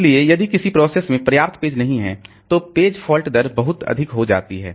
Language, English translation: Hindi, So if a process does not have enough pages, the page fault rate becomes very high